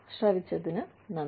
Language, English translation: Malayalam, So, thank you, for listening